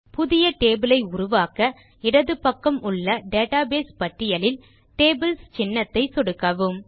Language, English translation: Tamil, To create a new table, click the Tables icon in the Database list on the left